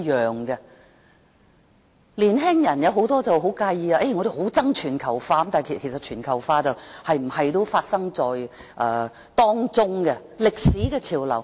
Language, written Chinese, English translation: Cantonese, 許多年輕人很介意，表示討厭全球化，其實全球化怎樣也會發生，是歷史的潮流。, Many young people take exception to it very much saying that they hate globalization . Actually globalization will happen no matter what . It is a trend in history